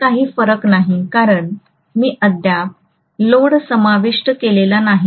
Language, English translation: Marathi, There is no difference because I have not included the no load current as yet